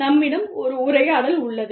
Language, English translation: Tamil, We have a dialogue, with ourselves